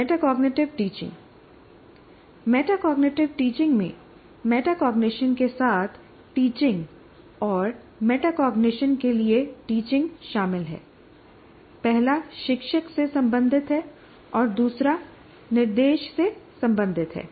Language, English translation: Hindi, Teaching metacognitive teaching, teaching metacognitive includes teaching with metacognition and teaching for metacognition